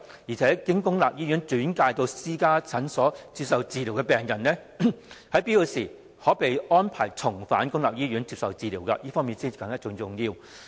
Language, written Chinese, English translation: Cantonese, 此外，經公立醫院轉介至私家診所接受治療的病人，在有必要時，應可獲安排重返公立醫院接受治療，這點甚為重要。, Moreover patients referred by public hospitals to private clinics for treatment should be assured of return to public hospitals for treatment when necessary . This point is greatly important